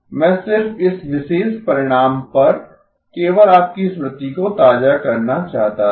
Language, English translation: Hindi, I just wanted to just refresh your memory on this particular result